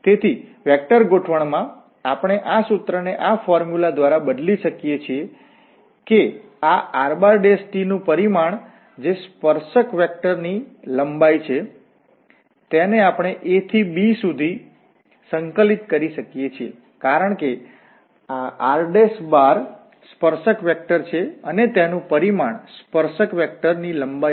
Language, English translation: Gujarati, So what we can, now in the vector setting we can replace this formula by this formula that we can integrate a to b, the magnitude of this r prime t, which is the length of the tangent vector, because r prime is the tangent vector and its magnitude will be the length of the tangent vector